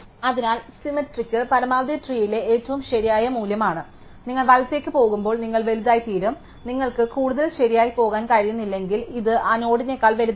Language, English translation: Malayalam, So, symmetrically the maximum is the right most value on the tree, as you go right you go bigger, if you cannot go right any more this is nothing which is bigger than that node